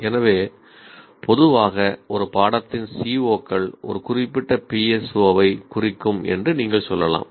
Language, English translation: Tamil, So, by and large, you can say COs of a course will address one particular PSO